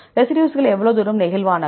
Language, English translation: Tamil, How far the residues are flexible